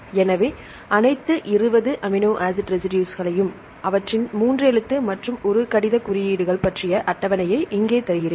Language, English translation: Tamil, So, here I give you table regarding all the 20 amino acid residues along with their 3 letter and one letter codes